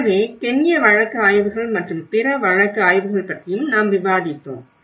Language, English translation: Tamil, So, that is where we discussed about the Kenyan case studies and other case studies as well